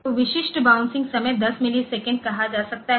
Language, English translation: Hindi, So, typical bouncing time may be say 10 milliseconds